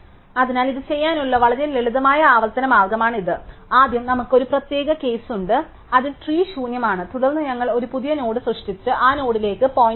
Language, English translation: Malayalam, So, this is very simple recursive way to do this, so first of all we have a special case which such as that trees empty, then we just create a new node and point to that node